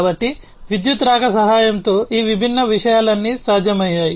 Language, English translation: Telugu, So, all these different things have been possible with the help of the advent of electricity